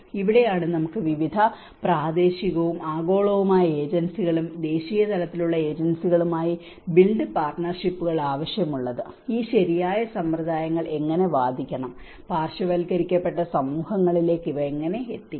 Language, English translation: Malayalam, This is where we need the build partnerships with various local and global agencies and national level agencies, how we have to advocate these right practices, how we can bring these things to the marginalized communities